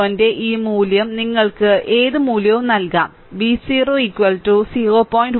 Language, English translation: Malayalam, This value of V 0 is up to you can put any value V 0 is equal to 0